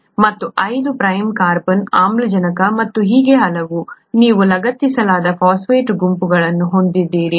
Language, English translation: Kannada, And to the 5 prime carbon, oxygen and so on, you have phosphate groups that gets attached